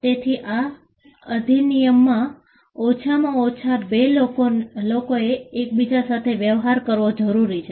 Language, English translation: Gujarati, So, an act requires at least two people to deal with each other